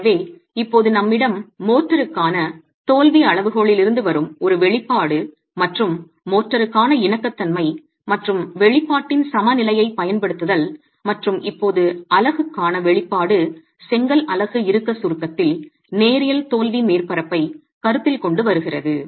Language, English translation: Tamil, So now we have an expression that comes from the failure criterion for motor and using equilibrium and compatibility an expression for the motor and now an expression for the unit itself coming from the consideration of the linear failure surface in tension compression of the brick unit itself